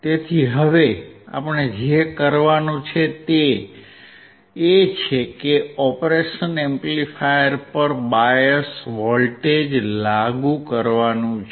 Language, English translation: Gujarati, So now, first thing that we have to do is to apply the bias voltage to the operation amplifier